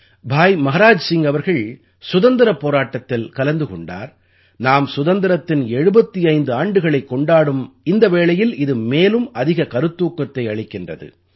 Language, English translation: Tamil, Bhai Maharaj Singh ji fought for the independence of India and this moment becomes more inspiring when we are celebrating 75 years of independence